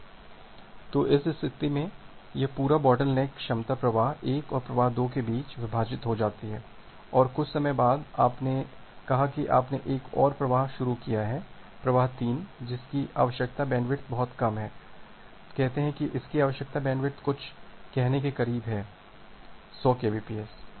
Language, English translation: Hindi, So, in that case, this entire bottleneck capacity is divided between flow 1 and flow 2 and after sometime say you have started another flow, flow 3 which has required which whose required bandwidth is little less, say its required bandwidth is something close to say 100 kbps